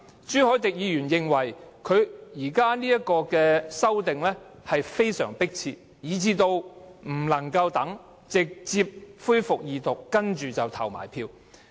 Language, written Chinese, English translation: Cantonese, 朱凱廸議員認為《條例草案》非常迫切，不能再等，而要立即恢復二讀，然後進行投票。, Mr CHU Hoi - dick considers the Bill extremely urgent so much so that the Second Reading debate of the Bill has to be resumed immediately followed by voting without delay